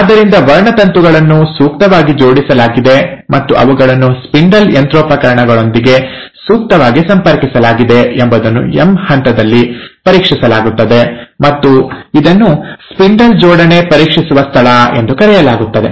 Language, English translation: Kannada, So, that checkpoint that the chromosomes are appropriately aligned, they are appropriately connected to the spindle machinery, happens at the M phase and it is called as the spindle assembly checkpoint